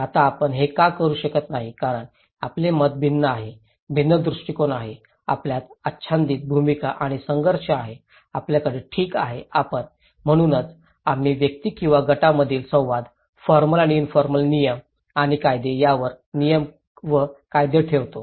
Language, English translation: Marathi, Now, why we cannot do it because we have different mind, different perspective, overlapping roles and conflicts we have, we possess okay and so, we put rules and regulations upon interactions between individuals or between groups, formal and informal rules and regulations